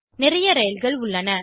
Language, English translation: Tamil, I have got lots of train